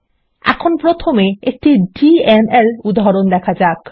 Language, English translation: Bengali, We will first see a DML example